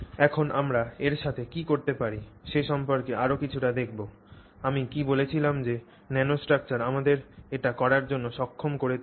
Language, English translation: Bengali, So, now we will look a little bit more on what we can do with this, what is what is it that the nanostructure is enabling for us